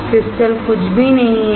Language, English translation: Hindi, The crystal is nothing